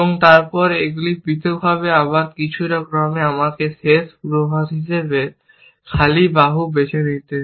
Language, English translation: Bengali, Then, these individually, again, in some order, let me choose arm empty as the last predicate